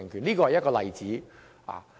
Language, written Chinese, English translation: Cantonese, 這是一個例子。, That is an example